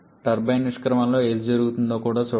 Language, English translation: Telugu, Also look what is happening on the turbine exit